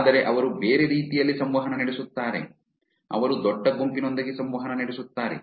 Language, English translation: Kannada, But they otherwise interact, they interact with the large set of people